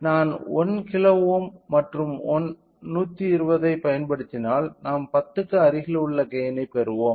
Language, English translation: Tamil, So, if I use 1 kilo ohm and 120 we will get a gain at close to 10